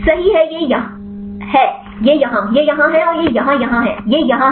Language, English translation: Hindi, Right this is yes; this is here and this is here; this is yes